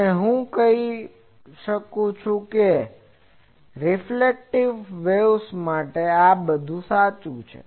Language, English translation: Gujarati, And what I am saying is true for all spherical waves